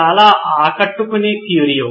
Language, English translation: Telugu, Very impressive Curio